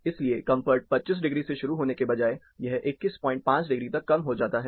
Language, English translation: Hindi, So, instead of the comfort starting from 25 degrees, it goes as low as 21 and half degrees